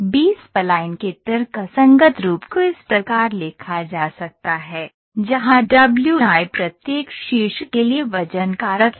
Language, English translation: Hindi, So, the rational form of B spline can be written in this form and where w or the weightages